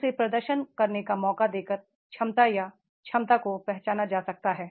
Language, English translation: Hindi, The potential or ability can be identified by giving him chance to perform